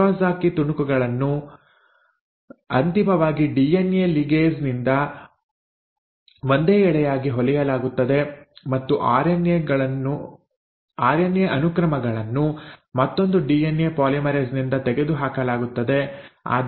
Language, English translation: Kannada, The Okazaki fragments are finally stitched together as a single strand by the DNA ligase while the RNA sequences are removed by another DNA polymerase